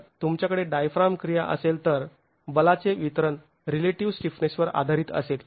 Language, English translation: Marathi, If you have diaphragm action then the distribution of forces is going to be based on the relative stiffnesses